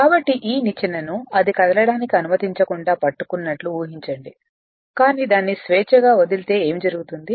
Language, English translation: Telugu, So, in that case as assuming that you are holding this ladder you are not allowing it to move, but if you make it free then what will happen